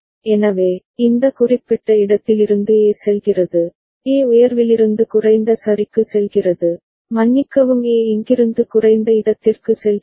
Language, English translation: Tamil, So, A is going from in this particular place, A is going from high to low ok, sorry A is going from here low to high